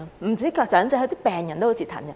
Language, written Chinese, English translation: Cantonese, 不只長者，病人都很折騰。, It is vexatious not only for the elderly but also the patients